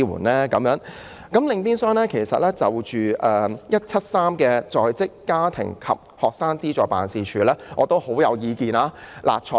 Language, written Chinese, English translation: Cantonese, 另外，我對"總目 173— 在職家庭及學生資助事務處"亦頗有意見。, Besides I also have a strong view on Head 173―Working Family and Student Financial Assistance Agency